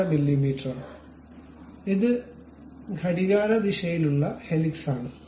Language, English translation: Malayalam, 5 mm, and this is a clockwise kind of helix